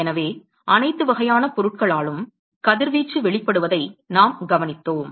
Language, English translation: Tamil, So, we observed that radiation is emitted by all forms of matter